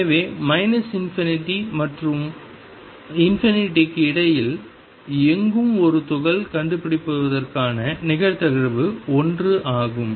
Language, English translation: Tamil, So, probability of finding a particle anywhere between minus infinity and infinity is one